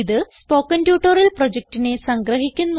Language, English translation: Malayalam, It s ummarizes the Spoken Tutorial project